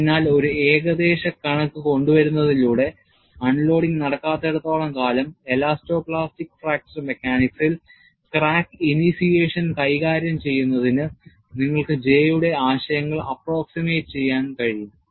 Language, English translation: Malayalam, So, by bringing an approximation, as long as no unloading takes place, you can still extend the concepts of J, at least approximately, to handle crack initiation elasto plastic fracture mechanics